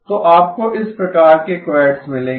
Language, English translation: Hindi, So you will get quads of this type